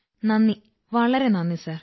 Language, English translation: Malayalam, Thank you, Thank you Sir